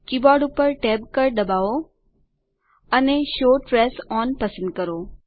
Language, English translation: Gujarati, Hit tab on the keyboard, also select the show trace on